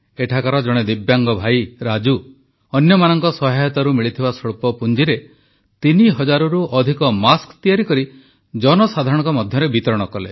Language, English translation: Odia, Divyang Raju through a small investment raised with help from others got over three thousand masks made and distributed them